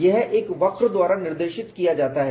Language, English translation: Hindi, This is dictated by a curve